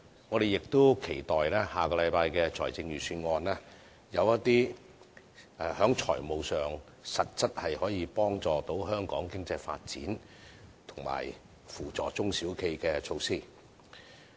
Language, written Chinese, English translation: Cantonese, 我們亦期待下星期的財政預算案有一些在財務上實質可幫助香港經濟發展，以及扶助中小企的措施。, We approve of this . We also look forward to seeing some fiscal measures in the Budget next week which can offer concrete assistance to Hong Kongs economic development and small and medium enterprises SMEs